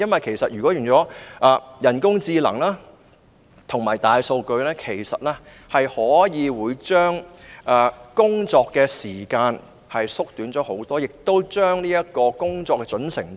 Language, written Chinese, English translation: Cantonese, 利用人工智能及大數據不但可以大大縮短工作時間，亦可以大大提高工作的準繩度。, The use of AI and big data will not only greatly reduce the working time but will also significantly enhance the accuracy of work